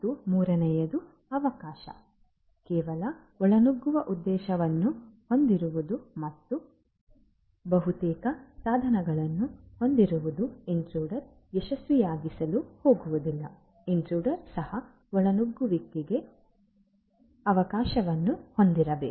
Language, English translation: Kannada, And third is the opportunity, merely having the motive to intrude and nearly having the means is not going to make the intruder successful, the intruder should also have the opportunity for intrusion